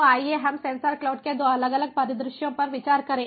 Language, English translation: Hindi, so let us consider two different scenarios like this of sensor cloud